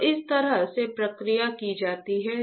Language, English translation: Hindi, So, this is how the process is done